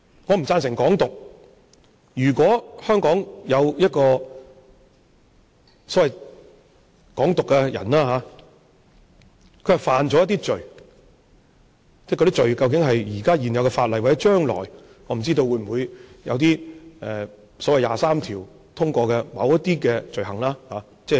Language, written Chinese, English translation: Cantonese, 我不贊成"港獨"，如果香港有一個所謂"港獨"人士，他犯了某些罪，而這些罪或者關乎現有法例，或者將來的某些罪行，我不知道，例如所謂"二十三條"通過後的罪行。, I do not endorse Hong Kong independence . If there is a so - called advocate of Hong Kong independence in Hong Kong I do not know if he has committed certain crime be it related to existing laws or legislation ready to be enacted such as the so - called offences under Article 23 . Let me quote an example